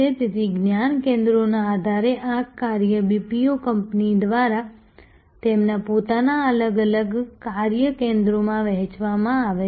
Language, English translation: Gujarati, So, on the basis of knowledge centers this work is distributed by the BPO companies among their own different centers of operation